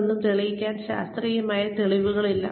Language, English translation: Malayalam, There is no scientific evidence to prove any of this